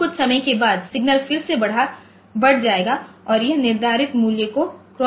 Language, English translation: Hindi, Now, after some time the signal will again rise and it crosses the say crosses the triangular the set value again